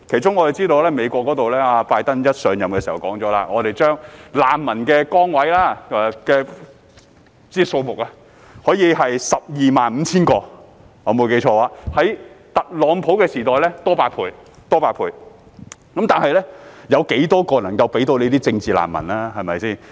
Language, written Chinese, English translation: Cantonese, 我們知道，美國總統拜登上任時表示，可以把難民名額增至 12,500 個，比特朗普時代多出8倍，但當中有多少個名額能夠撥給政治難民呢？, As we all know when the President of the United States US BIDEN assumed office he remarked that the refugee quota would be raised to 12 500 which is eight times more than in the TRUMP era . But how many places are allocated to political refugees?